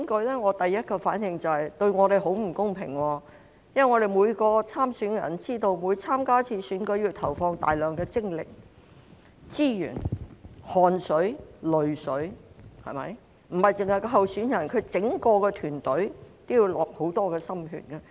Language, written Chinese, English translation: Cantonese, 我的第一個反應是，這樣對候選人很不公平，因為每位參選人也知道，每次參加選舉也要投放大量精力、資源、汗水、淚水，不單候選人，其整個團隊也要花上很多心血。, My first reaction was that it was unfair to the candidates because as every candidate knows every time they stand for election they have to put in enormous efforts and resources with sweat and tears . Not only the candidates but also their entire teams have to work very hard